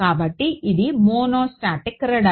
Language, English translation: Telugu, So, this is a monostatic radar